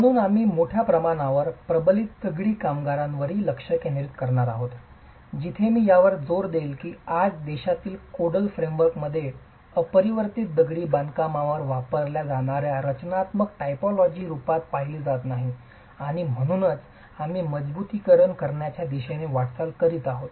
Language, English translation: Marathi, So, we will also be largely focusing on reinforced masonry where as I would emphasize in the Codal framework in the country today, unreinforced masonry is not seen as a structural typology that should be used and therefore we are moving towards having reinforcement in masonry